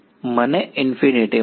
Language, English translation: Gujarati, I will get infinity